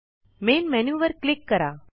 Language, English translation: Marathi, Click Main Menu